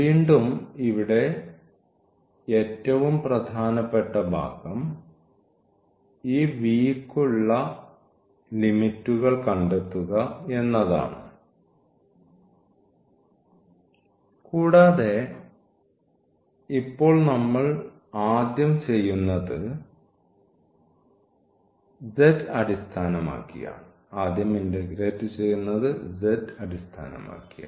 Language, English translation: Malayalam, So, the most important part again here is finding this limit for this v and what we do now first with respect to z again we are putting